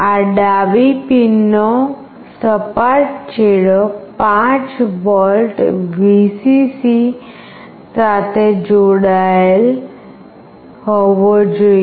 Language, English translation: Gujarati, The flat end of this the left pin should be connected to 5 volt Vcc